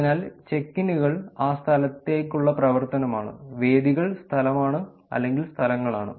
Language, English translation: Malayalam, So, check ins is the action to be in that place, venues is the location or the places, mayorships